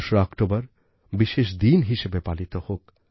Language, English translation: Bengali, Let us celebrate 2nd October as a special day